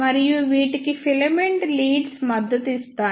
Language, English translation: Telugu, And these are supported by the filament leads